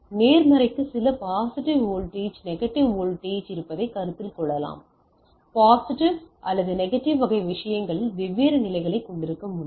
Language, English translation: Tamil, So, I can consider that the positive has some positive voltage negative voltage, I can have different level at the positive or negative type of things